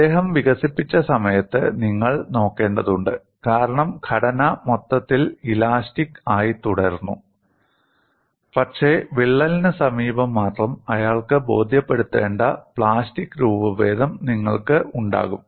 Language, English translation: Malayalam, You have to look at the time he developed because the structure as the whole remind elastic, but near the crack alone, you will have plastic deformation he needs to convince